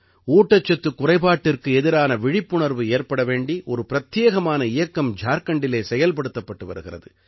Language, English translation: Tamil, A unique campaign is also going on in Jharkhand to increase awareness about malnutrition